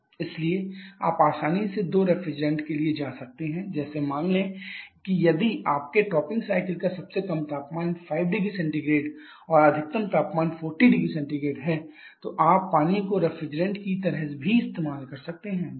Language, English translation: Hindi, Therefore you can easily go for two refrigerants like suppose if your topping cycle has the lowest temperature of five degree Celsius and the highest temperature of 40 degree Celsius then you can even use water also as the refrigerant